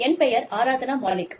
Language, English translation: Tamil, I am Aradhna Malik